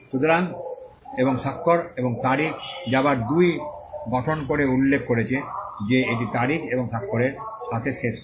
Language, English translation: Bengali, So, and signature and date which again form 2 had mentioned that it shall end with the date and the signature